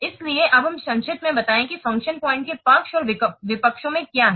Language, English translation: Hindi, So now let's summarize what are the pros and cons of the function points